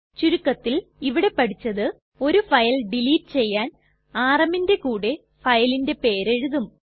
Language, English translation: Malayalam, That is do delete a single file we write rm and than the name of the file